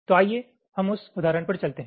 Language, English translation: Hindi, so lets go to that example